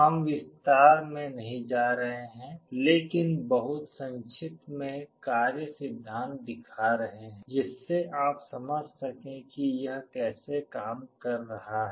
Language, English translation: Hindi, We shall not be going into detail, but very brief working principle so that you actually understand how the thing is working